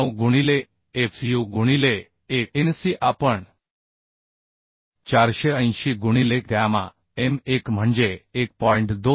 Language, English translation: Marathi, 9 into fu into Anc we calculated as 480 by gamma m1 that is 1